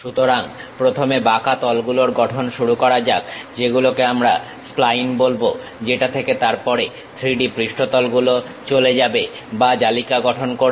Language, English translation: Bengali, So, first begins with construction of curves which we call splines, from which 3D surfaces then swept or meshed through